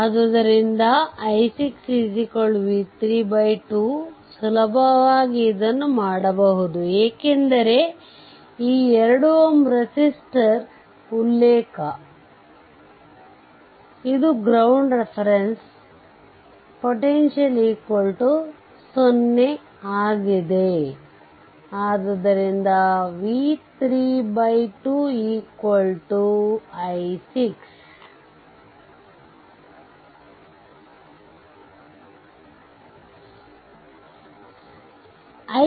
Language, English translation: Kannada, So, i 6 will be is equal to v 3 by 2 easily you can make it because this 2 ohm resistor reference, this is ground reference potential is 0 so, v 3 by 2 that is your i 6 right